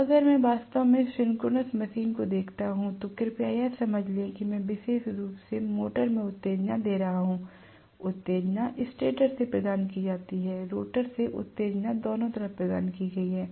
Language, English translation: Hindi, Now, if I look at actually the synchronous machine, please understand that I am going to have excitation, especially in the motor; excitation is provided from the stator, excitation provided from the rotor, both sides